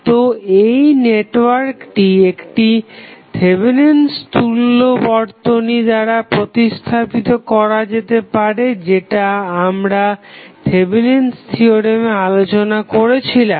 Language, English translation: Bengali, So, this network can be replaced by the Thevenin's equivalent this we have already seen when we discuss the Thevenin's equivalent